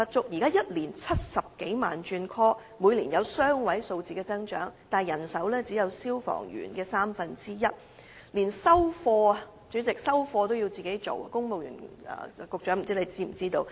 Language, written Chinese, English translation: Cantonese, 現時每年有超過70萬次緊急召喚，每年均有雙位數字的增長，但他們的人手僅為消防員的三分之一，連收貨工作也要兼顧，不知公務員事務局局長是否知情？, At present they have to respond to over 700 000 emergency calls every year and a double - digit growth is recorded annually but their manpower establishment is only one third of the size of that of firemen . They are also required to take up the duty of receiving goods at the same time and does the Secretary for the Civil Service aware of the situation?